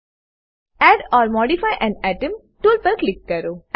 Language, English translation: Gujarati, Click on Add or modify an atom tool